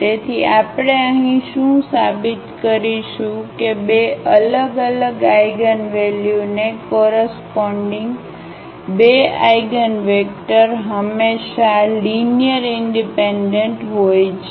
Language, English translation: Gujarati, So, what we will prove here that two eigenvectors corresponding to two distinct eigenvalues are always linearly independent